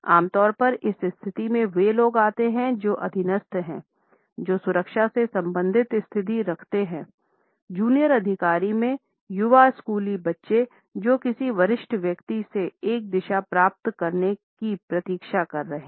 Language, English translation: Hindi, Normally, we come across this standing position in those people who are subordinate, who hold a security related position, amongst junior officers, young school children who are waiting to receive a direction from a senior person